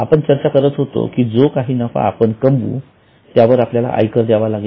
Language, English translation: Marathi, As we were discussing, whatever profit we earn, we have to pay income tax on it